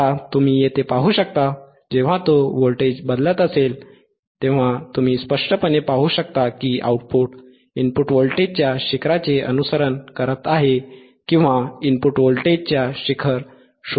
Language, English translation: Marathi, Now, you can see here, when he is changing the voltage you can clearly see that the output is following the peak of the input voltagor de output is following the peak or detecting the peak of the input voltage